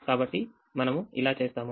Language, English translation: Telugu, so let us do this